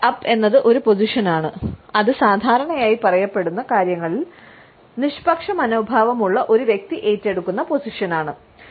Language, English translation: Malayalam, Head up is a position, which is taken up by a person who normally, has a neutral attitude about what is being said